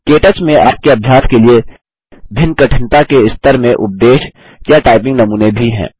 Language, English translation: Hindi, KTouch also has lectures or typing samples, in various levels of difficulty, for you to practice with